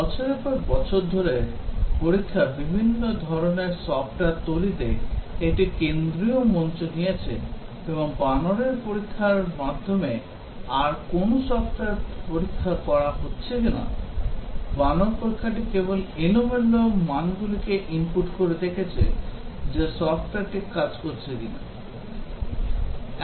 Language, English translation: Bengali, That over the years testing has taken a centre stage in all types of software development, and no more software is being tested by monkey testing; the monkey testing is just inputting random values and seeing that whether the software is working or not